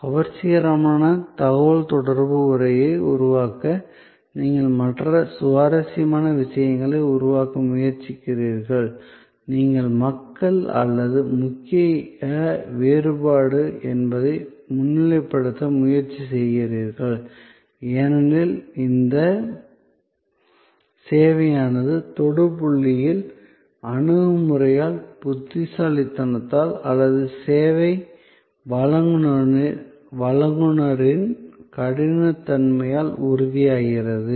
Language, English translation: Tamil, Other interesting you try to create catchy communications text, you try to highlight that people or the key differentiate, this because the service intangible often becomes tangible at the touch point by the attitude, by the smartness or by the callousness of the service provider